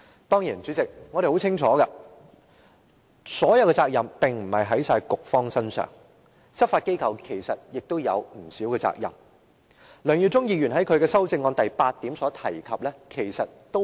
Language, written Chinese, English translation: Cantonese, 當然，主席，我們清楚責任並不全在局方身上，執法機構其實也有不少責任，梁耀忠議員在他的修正案第八點提到的亦是針對現時的問題。, Certainly President we understand that not all the blame lies with the Bureau for the law enforcement agencies should indeed bear a considerable share of the blame . The proposal put forth by Mr LEUNG Yiu - chung in point 8 in his amendment directs at this issue